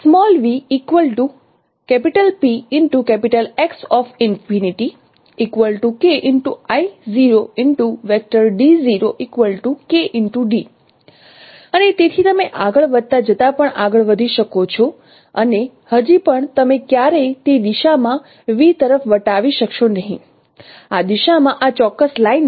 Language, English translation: Gujarati, And so even you can move as you go further and further still you will never cross V in that directions in this particular line L in that direction